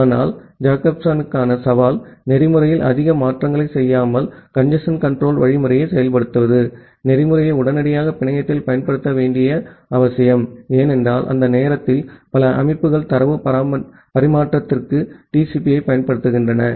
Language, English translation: Tamil, But, the challenge for Jacobson was to implement the congestion control algorithm without making much changes in the protocol, it was necessary to make the protocol instantly deployable in the network, because during that time, many of the systems were using TCP for transmission of data